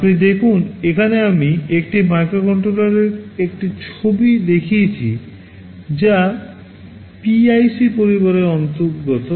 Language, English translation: Bengali, You see here I have shown a picture of a microcontroller that belongs to the PIC family